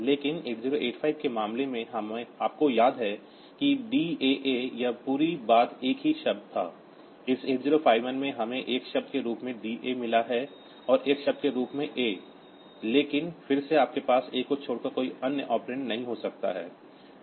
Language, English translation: Hindi, But in case of 8085, you remember that DAA this whole thing was a single word; in this 8051 we have got DA as a word and a as another word, but again you cannot have any other operand excepting a